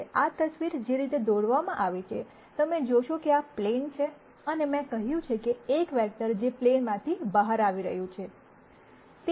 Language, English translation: Gujarati, Now, the way this picture is drawn, you would see that this is the plane and I have let us say, a vector that is coming out of the plane